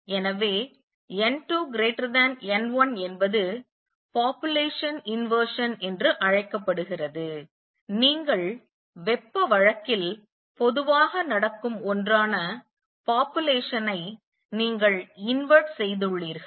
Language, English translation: Tamil, So, n 2 greater than n 1 is called population inversion, you have inverted the population from what normally happens in thermal case